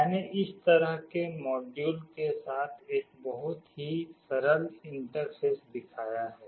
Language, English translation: Hindi, I have shown a very simple interface with this kind of module